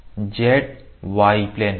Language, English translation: Hindi, This is z y plane